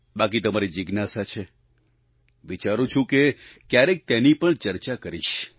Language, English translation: Gujarati, The rest is your inquisitiveness… I think, someday I'll talk about that too